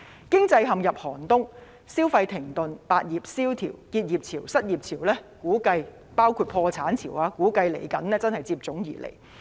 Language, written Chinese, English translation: Cantonese, 經濟陷入寒冬，消費停頓，百業蕭條，結業潮、失業潮，包括破產潮，估計真是接踵而至。, The economy is in the doldrums with consumption coming to a grinding halt while business is sluggish . Tides of business closing down layoffs and bankruptcies are also expected to appear one after another